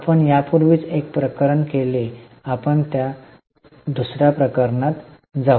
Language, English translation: Marathi, We have already done one case, now we will go for the second case